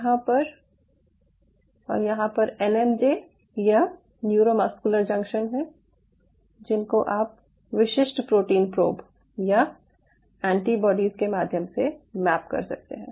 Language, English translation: Hindi, it is that out here, out here you can map the nmj or neuromuscular junction with specific protein probes or antibodies, probes or antibodies simultaneously